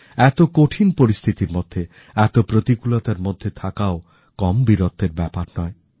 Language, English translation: Bengali, Living in the midst of such adverse conditions and challenges is not less than any display of valour